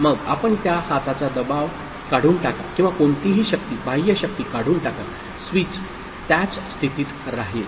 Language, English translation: Marathi, Then you remove that hand pressure or you know this whatever force, external force the switch will remain in that position